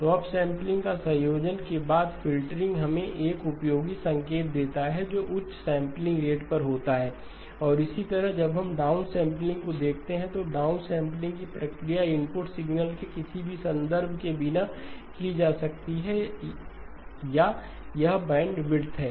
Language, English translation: Hindi, So the combination of up sampling followed by filtering gives us a useful signal which is at a higher sampling rate and likewise when we look at the downsampling, the down sampling process can be done without any reference to the input signal or it is bandwidth